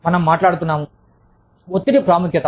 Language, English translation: Telugu, We are talking about, stress, emphasis